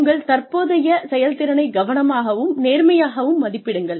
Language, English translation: Tamil, Carefully and honestly, assess your current performance